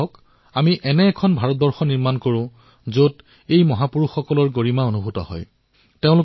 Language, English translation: Assamese, Come, let us all strive together to build such an India, on which these great personalities would pride themselves